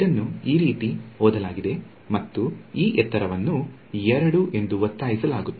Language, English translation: Kannada, So, it is going to be read like this and this height is being forced to be 2